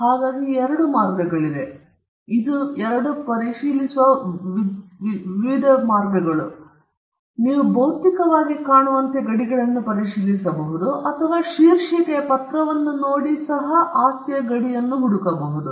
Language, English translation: Kannada, So, two ways to check it: one you could look physically and check the boundaries or you could look at the title deed and look for the boundaries of the property